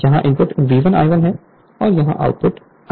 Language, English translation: Hindi, Input here is V 1 I 1 and output here is current is I 2